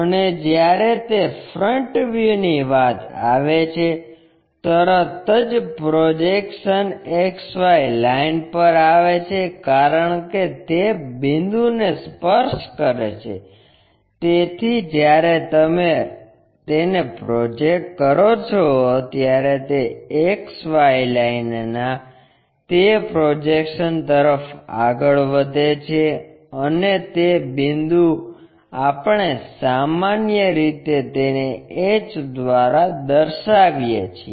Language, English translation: Gujarati, And when it comes to front view, straight away the projection comes to XY line, because it is touching the point; so when you are projecting it, it goes on to that projection of that XY line and that point we usually denote it by h, a small h